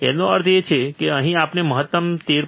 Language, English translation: Gujarati, ; that means, that here the maximum we can go about 13